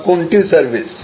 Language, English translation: Bengali, Where is the service